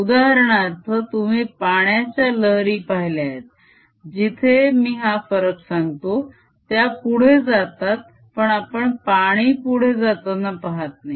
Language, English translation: Marathi, for example, you have seen water waves where, if i make disturbance, the travels out, but we don't see water going out